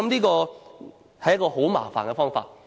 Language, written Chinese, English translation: Cantonese, 我想這是很麻煩的方法。, I think this is a troublesome way